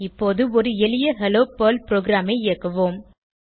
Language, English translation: Tamil, Now let us execute a simple Hello Perl program